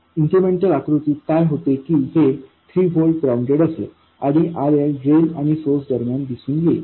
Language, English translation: Marathi, In the incremental picture, this 3 volts becomes ground and this RL appears between drain and ground